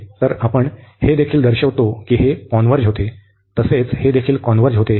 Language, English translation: Marathi, So, we can here also show that this converges, so this also converges